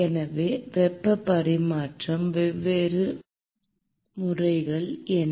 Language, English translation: Tamil, So, what are the different modes of heat transfer